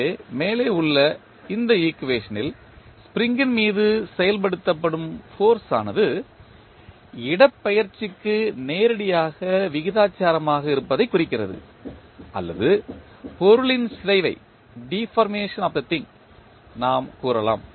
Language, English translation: Tamil, So, in this above equation it implies that the force acting on the spring is directly proportional to displacement or we can say the deformation of the thing